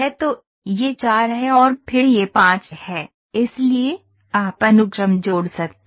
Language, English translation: Hindi, So, this is 4 and then it is 5, so you can keep on adding the sequence